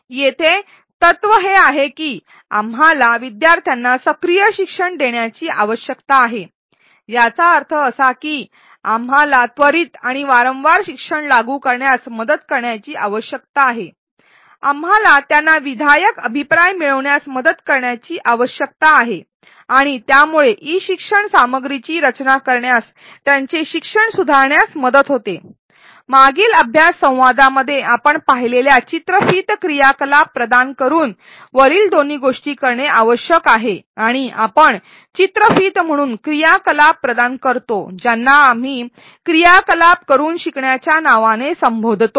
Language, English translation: Marathi, The principal here is that we need to facilitate students active learning; that means, we need to help them apply learning immediately and frequently, we need to help them get constructive feedback and that helps them revise their learning, in designing e learning content, we need to do the above both by providing in video activities which we saw in a previous learning dialogue and providing activities between videos which we are calling as learning by doing activities